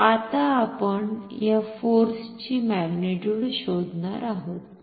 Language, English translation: Marathi, So, now, we will find the magnitude of this force